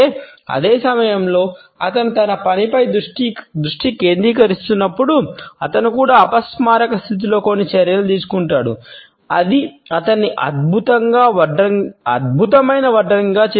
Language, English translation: Telugu, At the same time, while he is concentrating on his work he would also be taking certain steps in an unconscious manner which would make him an excellent carpenter